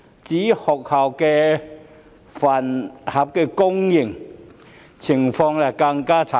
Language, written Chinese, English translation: Cantonese, 至於學校飯盒供應業，情況更不堪。, As for the school lunch suppliers the situation is even worse